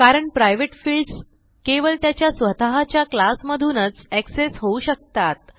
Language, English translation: Marathi, This is because private fields can be accessed only within its own class